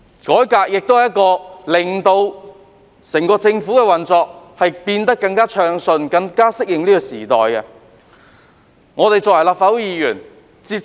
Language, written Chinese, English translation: Cantonese, 改革可以令整個政府的運作更暢順，更能適應時代需要。, Reform can rationalize the operation of the entire Government and better enable it to adapt to the needs of the times